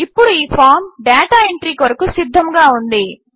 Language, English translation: Telugu, Now this form is ready to use for data entry